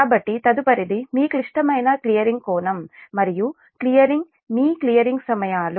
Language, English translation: Telugu, so next is that your critical clearing angle and critical your clearing times